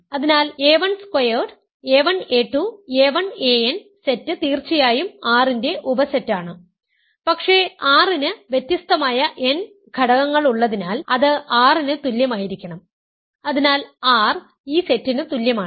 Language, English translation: Malayalam, So, the set a 1 squared, a 1 a 2, a 1 a n is certainly a subset of R, but because R has n elements and these are n distinct elements it must equal R, so R is equal to this set